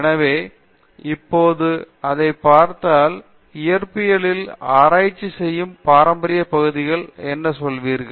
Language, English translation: Tamil, So, if you look at it now, what would you call as traditional areas of research in physics